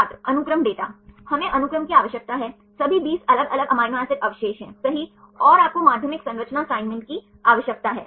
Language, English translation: Hindi, Sequence data We need the sequence; all the 20 different amino acid residues right and you need the secondary structure assignment